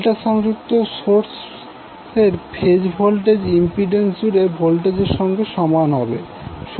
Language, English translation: Bengali, Than the phase voltage of the delta connected source will be equal to the voltage across the impedance